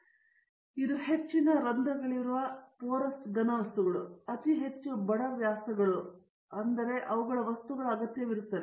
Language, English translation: Kannada, So, this is requires porous solids of very high porosity, very high poor diameters and their things